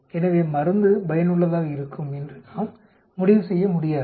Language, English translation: Tamil, So we cannot conclude the drug is effective